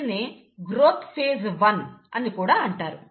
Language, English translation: Telugu, And, it's also called as the growth phase one